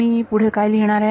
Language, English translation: Marathi, What do I write next